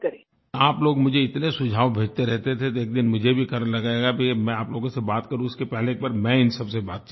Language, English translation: Hindi, You people have been sending me so many suggestions that one day I felt that first of all I must talk to these people